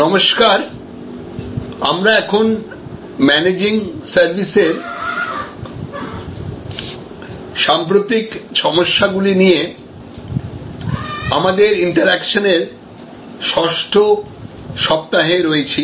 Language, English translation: Bengali, Hello, so we are now in week 6 of our interaction on Managing Services contemporary issues